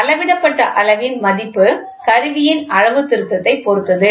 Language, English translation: Tamil, The value of the measured quantity depends on the calibration of the instrument